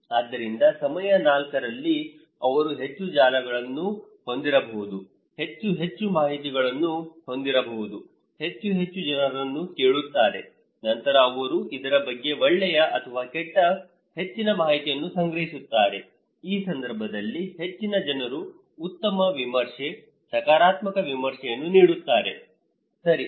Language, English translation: Kannada, So, in time 4, maybe he has more and more and more networks, more and more informations, asking more and more people so, he then collecting more informations either good or bad about this so, in this case, most of the people give a better review, a positive review, okay